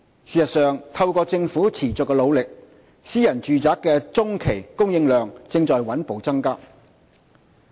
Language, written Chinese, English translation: Cantonese, 事實上，透過政府持續的努力，私人住宅的中期供應量正在穩步增加。, In fact the medium - term supply of private housing has been steadily increasing through the Governments continuous efforts